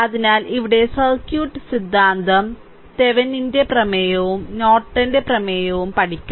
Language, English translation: Malayalam, So, here circuit theorem will learn Thevenin’s theorem and Norton’s theorem